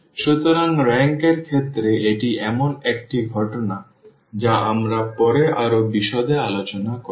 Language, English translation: Bengali, So, that is the case of in terms of the rank which we will later on discuss more in details